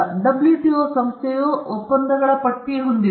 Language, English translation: Kannada, WTO is an organization and it is also a list of agreements